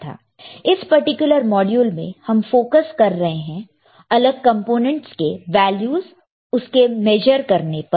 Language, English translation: Hindi, this particular module we are focusing on measuring the values of different components, right